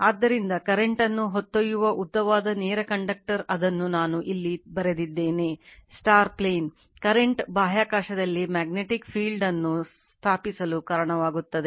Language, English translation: Kannada, So, a long straight conductor carrying current it whatever I said it is written here right into the plane, the current causes a magnetic field to be established in the space you are surrounding it right